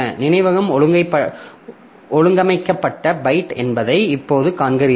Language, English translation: Tamil, Now, you see that the memory is the byte organized